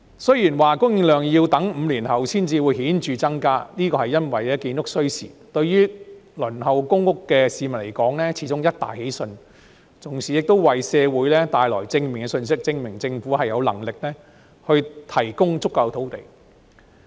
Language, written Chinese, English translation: Cantonese, 雖然供應量要待5年後才會有顯著增加，因為建築需時，但對輪候公屋的市民而言，始終是一大喜訊，同時為社會帶來正面信息，證明政府有能力提供足夠土地。, Unfortunately however there is not much applause from the community either . Although it will take five years of time - consuming construction before there is a significant increase in supply the news is great after all for those on the Waiting List for public housing . Meanwhile it has sent a positive message to the community that the Government is capable of providing sufficient land